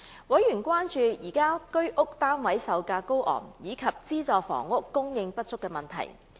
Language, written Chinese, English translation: Cantonese, 委員關注現時居者有其屋計劃單位售價高昂及資助房屋供應不足的問題。, Members expressed concerns over the high selling prices of Home Ownership Scheme flats and the inadequate supply of subsidized sale flats